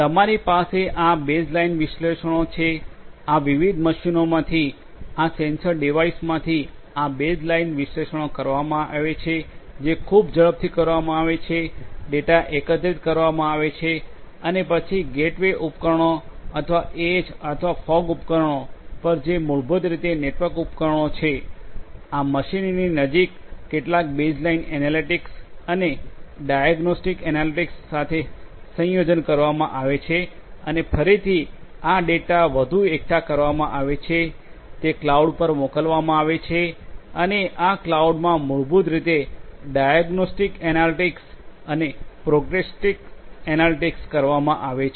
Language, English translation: Gujarati, You have this baseline analytics, from these different machines, these sensor devices this baseline analytics will be done over there that will be done very fast data will be aggregated and then at the gateway devices or edge or fog devices which are basically network equipments that are close to this machinery some baseline analytics and a combination with diagnostic analytics will be performed and again this data are going to be further aggregated, sent to the cloud and in this cloud basically diagnostic analytics and prognostic analytics will be performed